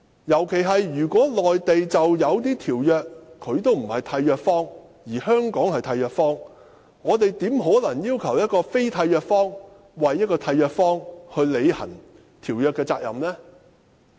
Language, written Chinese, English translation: Cantonese, 如果內地並非某些條約的締約方，而香港則是締約方，那麼我們怎可能要求非締約方替締約方履行條約的責任？, If the Mainland is not a contracting party of a certain treaty while Hong Kong is how can we expect a non - contracting party to discharge the obligations of a contracting party on its behalf?